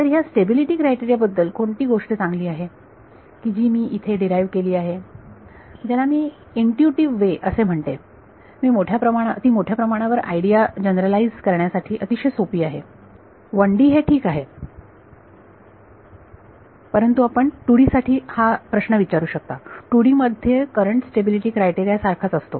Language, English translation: Marathi, So, what is nice about this stability criteria being derived in this what I will call an intuitive way is that it is very easy to generalize this idea to higher dimensions 1D is fine a question you can ask is in 2D is the Courant stability criteria the same right